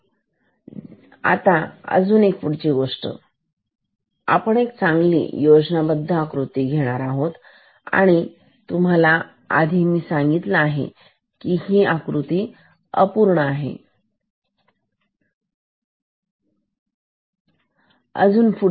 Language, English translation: Marathi, We will draw a better schematic, this is a schematic and I already told you that this is incomplete schematic